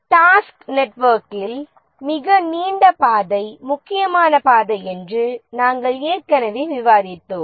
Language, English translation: Tamil, As we have already discussed that the longest path in the task network is the critical path